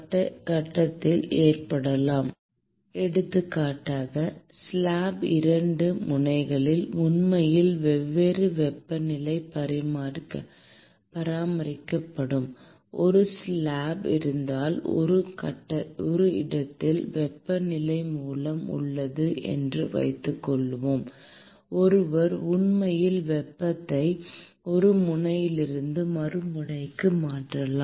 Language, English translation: Tamil, Heat transfer can occur in one phase, for example; if there is a slab which is actually maintained at different temperatures at the 2 ends of the slab, and let us say you have a heat source which is present at one location, then one can actually transfer the heat from one end to the other end of the slab, where the heat is transported within one phase